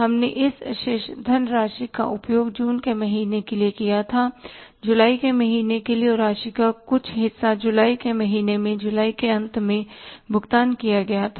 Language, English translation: Hindi, We used this money for the month of June for the month of July and part of the amount was paid in the month of July at the end of July